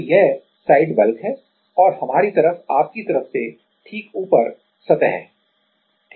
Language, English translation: Hindi, So, this side is the bulk and on our side on your side is the above the surface ok